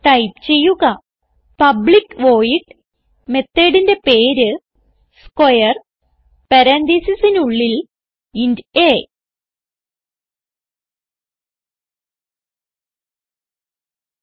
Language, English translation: Malayalam, So type public void method name square within parentheses int a